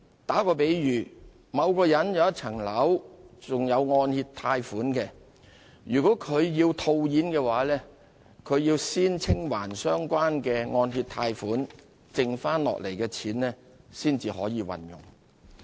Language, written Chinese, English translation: Cantonese, 打個比喻，若某人擁有一項樓宇物業並有按揭貸款尚未清還，他要售樓套現便需先清還相關欠款，剩下的錢才可運用。, Let me illustrate this by way of an analogy . Suppose a person owns a property on which the mortgage has yet to be repaid in full . If he wants to cash out by selling the property he has to pay off the loan first; only after that can he use the remaining sum of money